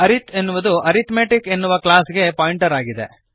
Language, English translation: Kannada, arith is the pointer to the class arithmetic